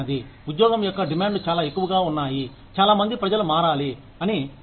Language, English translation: Telugu, The demands of the job are, so high, that not many people, want to change